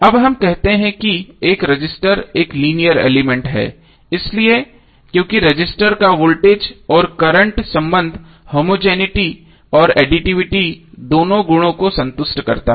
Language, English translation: Hindi, Now we say that a resistor is a linear element why because the voltage and current relationship of the resistor satisfy both the homogeneity and additivity properties